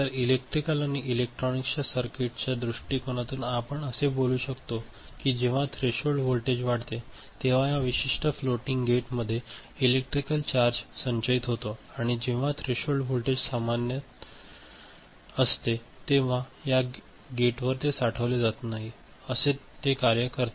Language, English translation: Marathi, From electrical or electronics circuit point of view what we understand is that in this particular floating gate electrical charge when it is stored the threshold voltage increases and when it is not stored, threshold voltage is the normal threshold voltage that you see for the gate to work ok